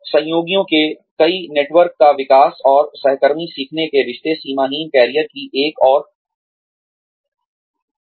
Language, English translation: Hindi, Development of multiple networks of associates, and peer learning relationships, is another characteristic of boundaryless careers